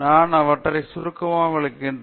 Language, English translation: Tamil, I will very briefly explain them